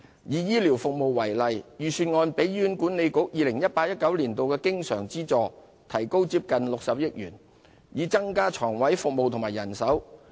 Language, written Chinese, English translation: Cantonese, 以醫療服務為例，預算案提高 2018-2019 年度醫院管理局的經常資助接近60億元，以增加床位和醫護人手。, In the case of health care services the Budget has raised the recurrent funding for the Hospital Authority HA for 2018 - 2019 by nearly 6 billion to increase the numbers of hospital beds and health care staff